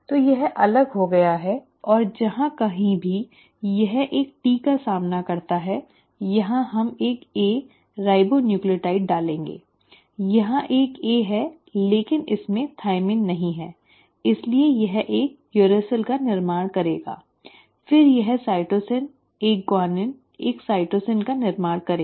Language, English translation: Hindi, So this has separated and wherever it encounters a T, here we will put a A, ribonucleotide, here there is an A, but it does not have a thymine so it will form a uracil, then it will form cytosine, a guanine, a cytosine and here since there was a guanine it will form a cytosine again